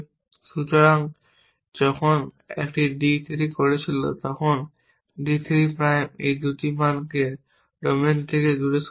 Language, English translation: Bengali, So, when it was doing d 3 that d 3 prime had thrown away these two values from the domain